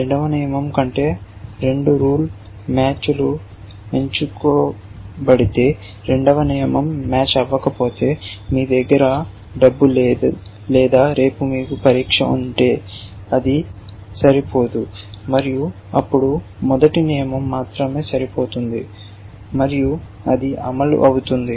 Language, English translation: Telugu, If both rule matches than the second rule would be selected, if only if the second rule does not match that means you do not have money, or you have an exam tomorrow then that will not match and then only the first rule will match and that will execute